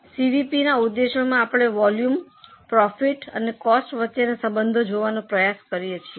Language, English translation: Gujarati, Then the objectives of CVP, we try to look at the interaction between volumes, profits and the costs